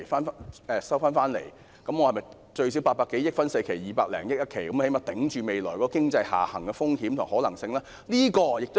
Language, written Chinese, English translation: Cantonese, 800多億元分4期償還，每期償還最少200多億元，最低限度在未來經濟下行的風險下支撐着。, The 80 - odd billion would be paid back by four instalments of at least 20 - odd billion each . The money would at least serve as a support amid the downturn of the economy in the future